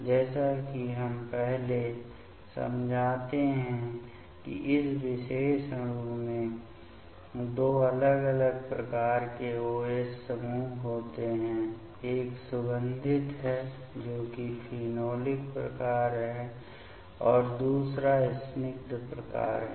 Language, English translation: Hindi, As we explain previously that this particular molecule contains two different type of OH group; one is aromatic that is phenolic type another one is aliphatic type